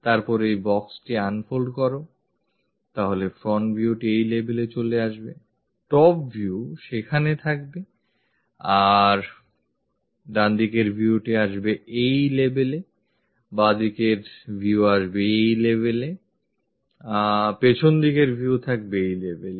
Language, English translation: Bengali, Then, unfold this box, so the front view comes at this level; the top view comes there; the right side view comes at this level; the left side view comes at that level and the back side view comes at this level